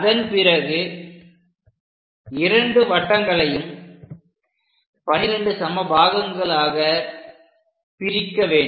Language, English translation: Tamil, After that, divide both the circles into 12 equal parts